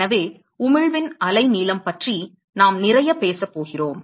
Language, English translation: Tamil, So, therefore, we are going to talk a lot about the wavelength of the emission